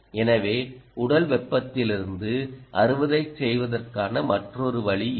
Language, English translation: Tamil, so this is another way of harvesting from body heat